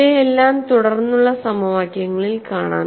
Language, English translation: Malayalam, So, we would see all these in the subsequent equations